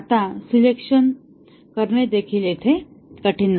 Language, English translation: Marathi, Now, the selection is also not hard either here